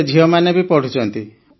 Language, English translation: Odia, They are studying